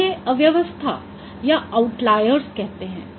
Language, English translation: Hindi, So they are called clutter or out layers